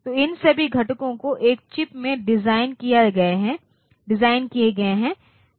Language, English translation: Hindi, So, all these components they are designed in a single chip